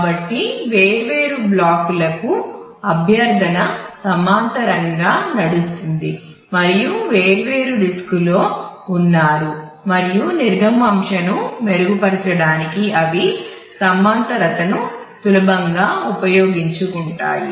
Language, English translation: Telugu, So, the request to different blocks can run in parallel and reside on different disk and if they can easily utilize this parallelism to improve the throughput